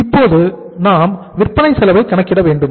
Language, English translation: Tamil, We will have to calculate now the cost of sales